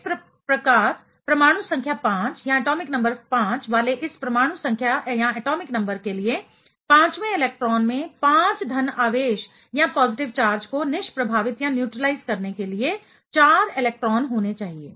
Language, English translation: Hindi, So thereby, the fifth electron for this atomic number of elements having atomic number 5 should have 4 electrons trying to neutralize the 5 positive charge right